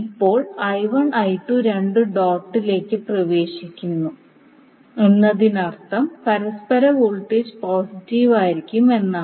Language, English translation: Malayalam, Now I 1 and I 2 are both entering the dot means the mutual voltage would be positive